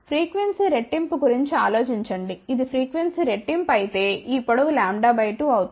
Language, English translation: Telugu, Think about double the frequency, if it is double the frequency then this length will become lambda by 2